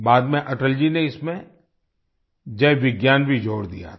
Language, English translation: Hindi, Later, Atal ji had also added Jai Vigyan to it